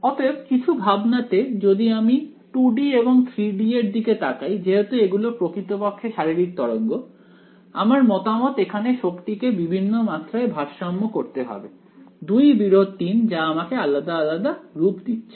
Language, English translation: Bengali, So, in some sense is if I look at 2 D and 3 D because they are truly the physical waves, it is in my opinion the where energy has to be balanced in multiple dimensions two versus three that is what is giving us different form